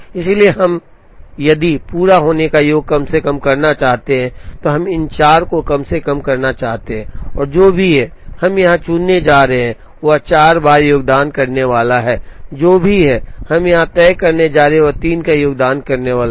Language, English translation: Hindi, So, if we want to minimize the sum of completion times, we wish to minimize all these 4 of them and whatever, we are going to chose here is going to contribute 4 times, whatever we are going to fix here is going to contribute 3 times and so on